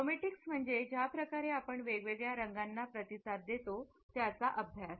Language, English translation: Marathi, Chromatics is the way we respond to different colors